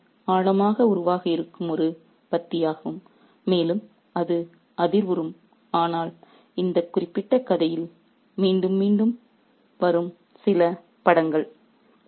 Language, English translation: Tamil, So, it's a passage that's deeply metaphorical as well and it is resonant with some of the images that keep recurring again and again in this particular story